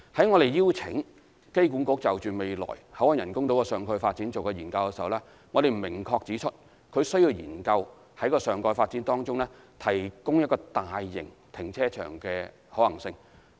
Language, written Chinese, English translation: Cantonese, 我們在邀請機管局就未來口岸人工島的上蓋發展進行研究時，亦有明確指出，它需要研究在上蓋發展中，提供一個大型停車場的可行性。, When we invited AAHK to conduct a study on the future topside development of the BCF Island we have precisely pointed out the need to study the feasibility of providing a large - scale car park in the topside development